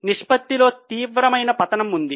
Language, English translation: Telugu, There is a serious fall in the ratio